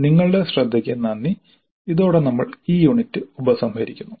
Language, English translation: Malayalam, Thank you for your attention and with this we conclude this unit